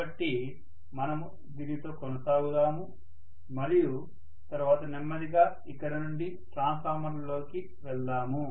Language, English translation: Telugu, So we will continue with this and then they will slowly move onto transformers from here, okay